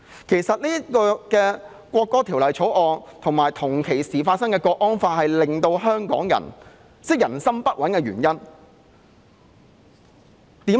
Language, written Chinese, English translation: Cantonese, 其實，《條例草案》及同時出現的港區國安法，是令香港人人心不穩的原因。, As a matter of fact the Bill and the Hong Kong national security law introduced at the same time are the causes of the restlessness among Hong Kong people